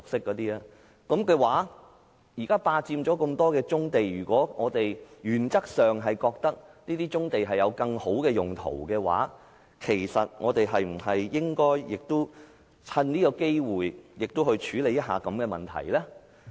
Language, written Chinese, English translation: Cantonese, 在這情況下，業界現時霸佔了那麼多棕地，如果我們在原則上覺得這些棕地可以有更好的用途，我們是否應趁此機會處理一下這個問題呢？, In this circumstance the industry has now occupied so many brownfield sites . If we consider in principle that these brownfield sites can serve better purposes should we not take this opportunity to address this problem?